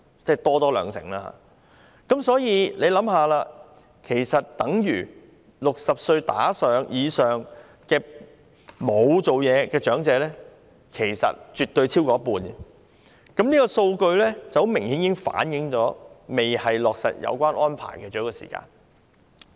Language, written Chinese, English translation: Cantonese, 所以，試想一下，這等於年齡60歲以上沒有工作的長者絕對超過一半，這個數據明顯反映現時不是落實有關安排的最佳時間。, So come to think about it . It shows that elderly people aged 60 or above who are unemployed absolutely account for more than half of their population . This figure obviously reflects that it is not the best time to implement this arrangement now